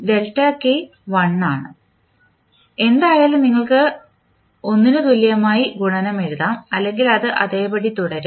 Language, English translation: Malayalam, Delta k is 1 so anyway that is you can write multiply equal to 1 or it will remain same